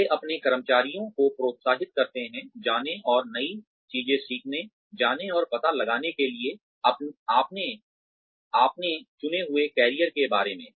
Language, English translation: Hindi, They encourage their employees, to go and learn new things, to go and find out, more about their chosen careers